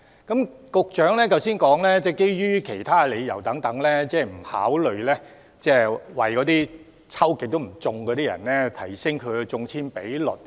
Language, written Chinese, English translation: Cantonese, 局長剛才表示，基於其他各種理由，不考慮提升屢次申請落空的人士的中籤機會。, The Secretary has just now said that due to various other reasons consideration would not be given to boosting the chance of purchasing a flat for those applicants who have repeatedly applied in vain